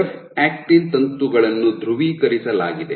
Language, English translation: Kannada, So, F actin filaments are polarized